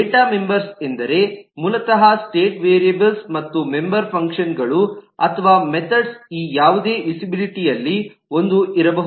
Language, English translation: Kannada, Data members means basically the state variables and the member functions or methods can be into any one of this visibilities